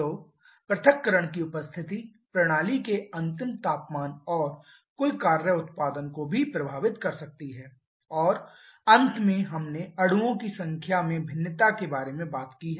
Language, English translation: Hindi, So the presence of dissociation can affect the final temperature of the system and also the total work production and finally we have also talked about the variation in the number of molecules